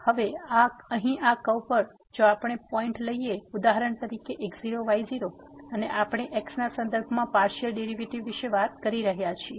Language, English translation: Gujarati, So, now, here on this curve if we take a point for example, naught naught and we are talking about the partial derivative with respect to